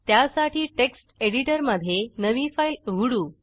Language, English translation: Marathi, To do so open the new file in Text Editor